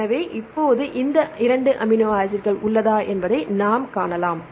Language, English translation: Tamil, So, now, we can see the mutations whether these 2 amino acids